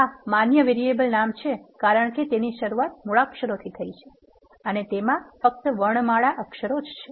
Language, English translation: Gujarati, This is a valid variable name because it started with an alphabet and it has only alphanumeric characters